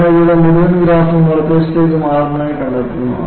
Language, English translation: Malayalam, So, what you find here is, the whole graph shits to the right